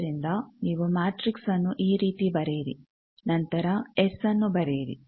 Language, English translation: Kannada, So, you write the matrix like this, then S